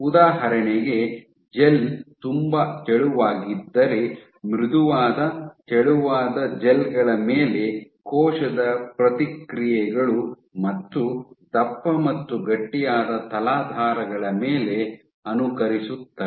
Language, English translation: Kannada, So, for example, if a gel is very thin then cell responses on soft thin gels mimic that on thick and stiff substrates